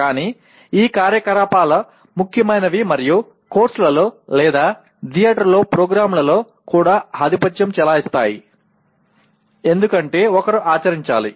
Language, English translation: Telugu, But these activities become important and even dominant in course/ in programs in theater because one has to act